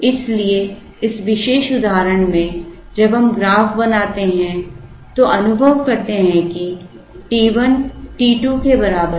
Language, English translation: Hindi, So, in this particular example, when we draw the graph you realize that t 1 is equal to t 2